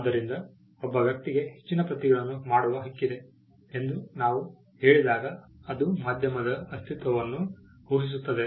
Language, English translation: Kannada, So, when we say that a person has a right to make further copies it presupposes the existence of a medium